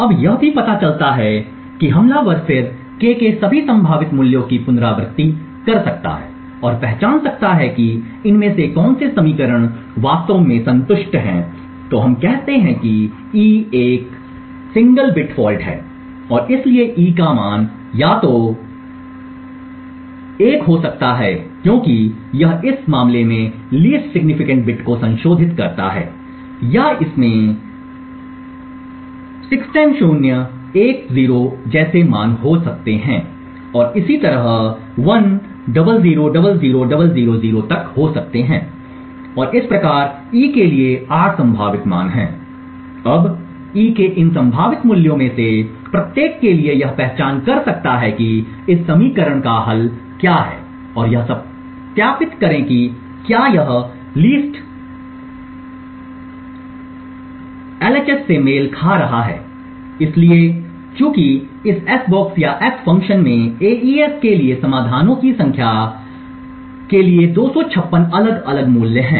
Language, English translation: Hindi, Now also what the attacker could then do is iterate to all possible values of k and identify which of these equations are actually satisfied, so let us say that e is a single bit fault and therefore e could have a value either 00000001 because it is in this case modifying the LSB bit or it could have values like 00000010 and so on to up to 10000000 thus there are 8 possible values for e, now for each of these possible values of e one can identify what is the solution for this equation and validate whether it is matching the LHS, so since this s box or the s function has 256 different values for AES the number of solutions for this particular equation reduces down to just 8